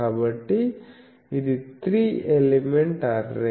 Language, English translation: Telugu, So, this is for a three element array